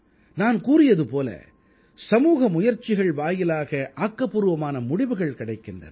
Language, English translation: Tamil, As I've said, a collective effort begets massive positive results